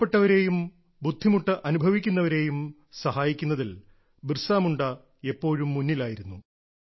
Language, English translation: Malayalam, Bhagwan Birsa Munda was always at the forefront while helping the poor and the distressed